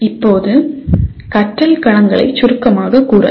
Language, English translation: Tamil, Now this is how the domains of learning can be summarized